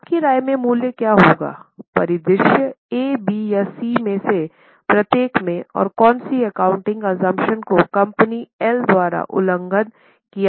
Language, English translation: Hindi, Now is it correct what will be the value in your opinion in each of the scenario A, B and C and which of the accounting assumption is violated by company L